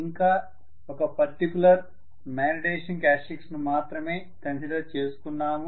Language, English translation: Telugu, We considered only one particular magnetization characteristics